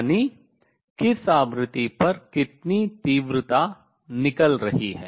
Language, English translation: Hindi, That means, what intensity is coming out at what frequency